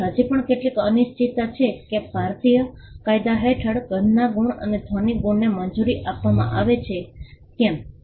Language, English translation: Gujarati, So, there is still some uncertainty as to whether smell marks and sound marks will be allowed under the Indian law